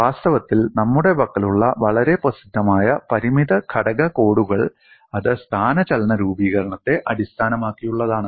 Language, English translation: Malayalam, In fact, the very famous finite element course that we have, that is based on displacement formulation